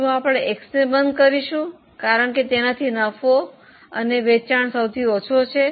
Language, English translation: Gujarati, Shall we go for closure of X because it has a lesser profit